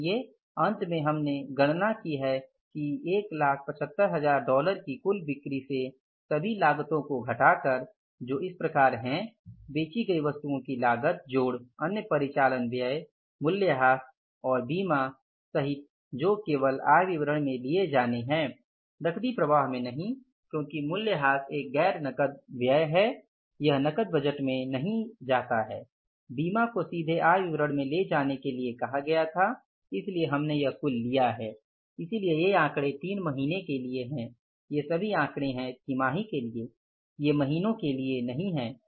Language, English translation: Hindi, So finally we have calculated that from the total sales of $175,000 after subtracting all the cost, that is the cost of goods sold plus other operating expenses including depreciation and the insurance which are to be only taken in the income statement not in the cash flow because depreciation is a non cash expense, it doesn't go in the cash budget, insurance was asked to be directly taken to the income statement